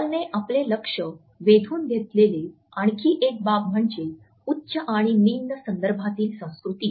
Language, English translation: Marathi, Another aspect towards which Hall has drawn our attention is of high and low context cultures